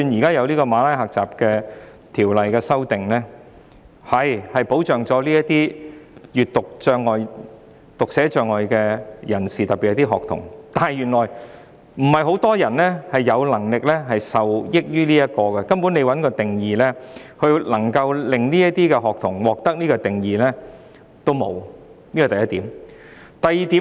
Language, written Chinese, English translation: Cantonese, 根據《馬拉喀什條約》作出的修訂，的確能夠保障閱讀障礙或讀寫障礙的人士，特別是學童，但原來不是很多人能夠受惠於這些條文，因為這些學童根本連獲評定的機會也沒有，這是第一點。, While the amendments made in accordance with the Marrakesh Treaty do offer protection to persons with a print disability or dyslexia especially students not many people can benefit from these provisions at the end of the day as those students do not even have an opportunity to undergo any assessment . This is the first point